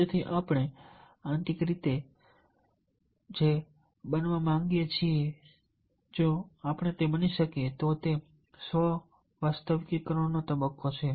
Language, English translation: Gujarati, so therefore, what i internally wants to be, if he can become that, that is the stage of self actualization